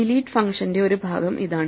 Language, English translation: Malayalam, Here is a part of the delete function